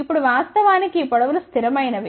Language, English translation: Telugu, Now, these lengths are actually fixed